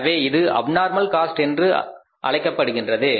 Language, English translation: Tamil, So, this became the abnormal cost